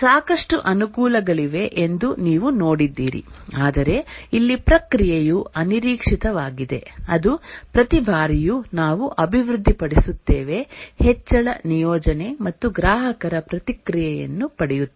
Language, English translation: Kannada, We've seen that it's a lot of advantages but then here the process is unpredictable that is each time we develop an increment deploy deploy and get the customer feedback